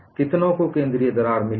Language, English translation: Hindi, How many have got the central crack